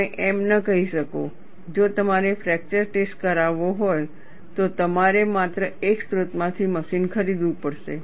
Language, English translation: Gujarati, You cannot say, if you have to do fracture test, you have to buy machine only from one source; you cannot have a monopoly